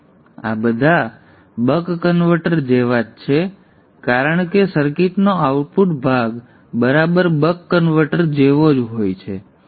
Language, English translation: Gujarati, So all these are just like the buck converter because the output portion of the circuit is exactly like the buck converter